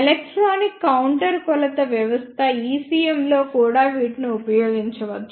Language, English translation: Telugu, They can also be used in electronic counter measure system ECM